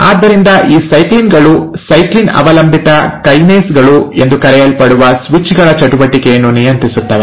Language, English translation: Kannada, So these cyclins, in turn regulate the activity of switches which are called as the ‘cyclin dependent kinases’